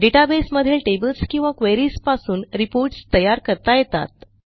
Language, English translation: Marathi, Reports can be generated from the databases tables or queries